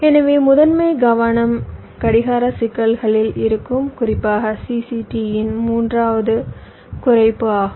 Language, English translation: Tamil, so our primary focus will be on the clocking issues, specifically the third one, reduction of cct